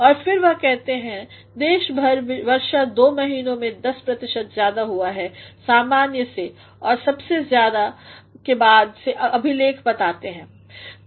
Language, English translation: Hindi, And then he says; Countrywide rainfall in two months has been 10 percent above normal and the highest rather since 1994 met records reveal